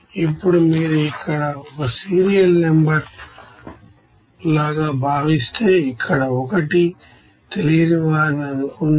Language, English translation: Telugu, Now if you consider here like as a serial number suppose 1 number of unknowns here what will be the number of unknowns here